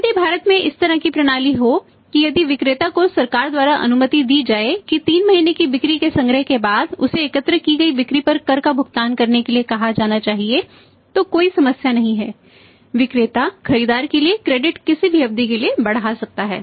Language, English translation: Hindi, If if if it is the system like in India if the seller is allowed by the government that after the collection of the sales of 3 months he should be asked to pay the tax on those sales collected then there is no problem any any period can be extended by the seller to the buyer